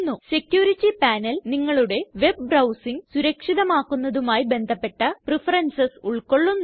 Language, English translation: Malayalam, The Security panel contains preferences related to keeping your web browsing safe